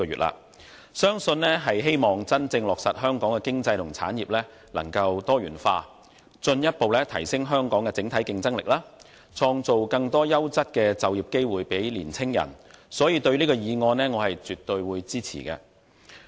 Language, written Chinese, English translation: Cantonese, 吳議員的議案相信是希望真正落實香港的經濟和產業能夠多元化，進一步提升香港的整體競爭力，創造更多優質的就業機會予年青人，所以我絕對支持這項議案。, It is believed that Mr NGs motion seeks to genuinely implement the diversification of Hong Kongs economy and industries so as to further enhance our overall competitiveness and create more quality employment opportunities for young people . Hence I absolutely support this motion . The key concept of Industry 4.0 is connectivity